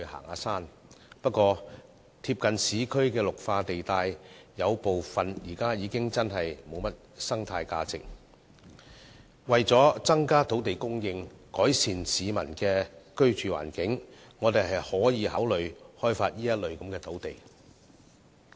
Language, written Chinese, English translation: Cantonese, 可是，有部分鄰近市區的綠化地帶的生態價值已大為減少，為了增加土地供應量和改善市民的居住環境，政府可考慮開發這些土地。, However the ecological value of some green belts adjacent to the urban areas has greatly diminished . In order to increase land supply and improve the living environment of the residents the Government may consider developing these sites